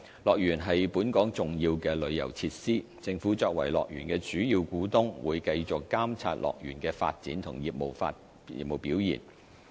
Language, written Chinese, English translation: Cantonese, 樂園是本港重要的旅遊設施，政府作為樂園的主要股東會繼續監察樂園的發展和業務表現。, HKDL is an important tourism facility of Hong Kong . As the majority shareholder of HKDL the Government will continue to monitor the development and business performance of HKDL